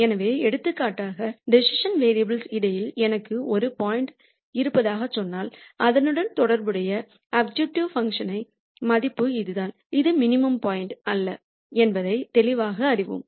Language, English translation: Tamil, So, for example, if let us say I have a point here on the space of the decision variables then the corresponding objective function value is this and clearly we know that that is not the minimum point